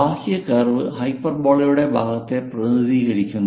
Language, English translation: Malayalam, And the exterior of the curve represents part of the hyperbola